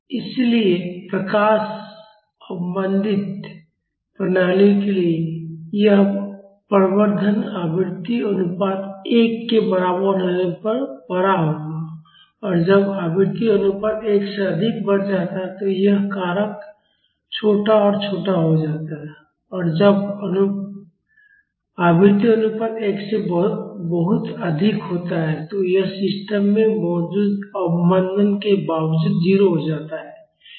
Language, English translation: Hindi, So, for light damped systems this amplification will be larger at frequency ratio is equal to 1 and when the frequency ratio increases beyond one, this factor becomes smaller and smaller and when the frequency ratio is much higher than 1, this becomes 0 irrespective of the damping present in the system